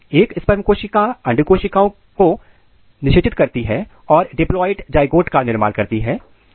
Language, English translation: Hindi, One sperm cells it goes and fertilize the egg cells and makes diploid zygote